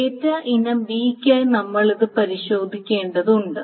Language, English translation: Malayalam, We need to also test it for data item B